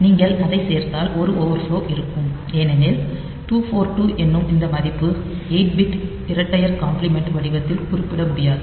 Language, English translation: Tamil, So, if you add it then there will be an overflow, because this value 2 4 2 cannot be represented in 8 bit twos complement format